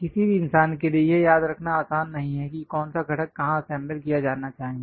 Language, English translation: Hindi, It is not easy for any human being to remember which components supposed to go where and so on